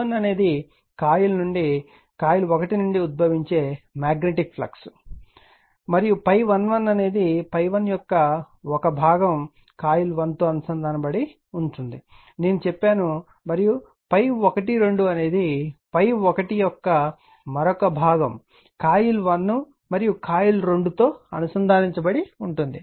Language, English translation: Telugu, Phi 1 is magnetic flux emanating from coil 1 and phi 1 1 1 component of phi 1 links coil 1 I told you and phi 1 to another component of phi 1 links both coil 1 and coil 2 that I has told you